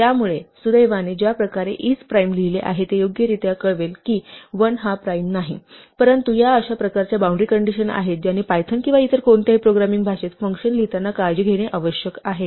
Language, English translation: Marathi, So fortunately, the way we have written isprime, it will correctly report that 1 is not a prime, but these are the kind of boundary conditions that one must be careful to check when one is writing functions in python or any other programming language